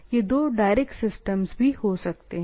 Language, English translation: Hindi, This can be two direct systems